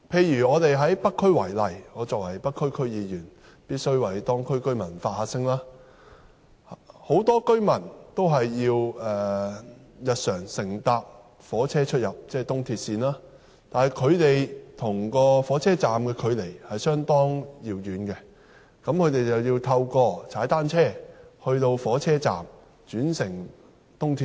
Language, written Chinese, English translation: Cantonese, 以北區為例——我作為北區區議員，必須為當區居民發聲——很多居民日常都需要乘坐火車、在東鐵線的車站出入，但他們的住所與火車站的距離相當遙遠，故此，要踏單車前往火車站，再轉乘東鐵線。, As a member of the North District Council I must voice out the views of the residents . Many of them travel daily by railway and they have to go to stations of the East Rail Line . If they live far away from the railway station they have to cycle to the station and take the railway